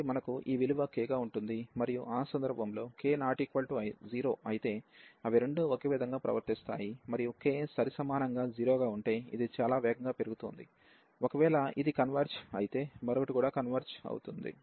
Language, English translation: Telugu, So, we have if this value is k, and in that case if k is not equal to 0, they both will behave the same and if k comes to be equal to 0 that means, this is growing much faster; in that case if this converges, the other one will also converge